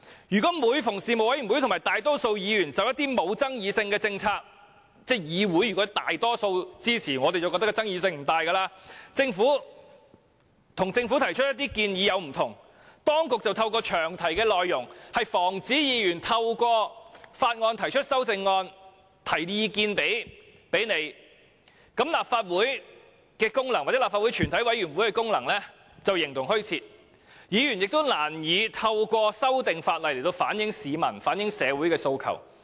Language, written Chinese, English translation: Cantonese, 如果每次事務委員會和大多數議員就一些沒有爭議性的政策——當議會內大多數議員均表示支持，我們便認為其爭議性不大——提出與政府有所不同的建議時，當局便透過詳題的內容，防止議員藉提出修正案來表達意見，這樣立法會或全委會的功能便形同虛設，議員亦將難以透過修訂法例反映市民和社會的訴求。, If every time a panel or the majority of Members put forward a proposal different from that of the Government on some uncontroversial policies―we consider the proposal uncontroversial if it is supported by the majority of Members―the authorities stop Members from proposing CSAs to express their views by making specific provisions in the long title the Legislative Council or the committee of the whole Council will be not be able to perform their functions and Members cannot reflect the demands of the public and society by amending a bill